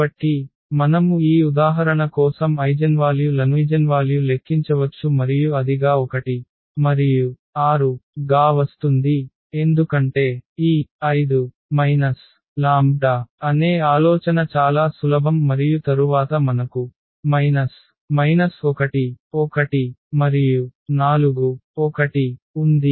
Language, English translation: Telugu, So, we can compute the eigenvalues for this example and then it comes to be 1 and 6, because the idea is simple that this 5 minus lambda and then we have 4 and 1 2 minus lambda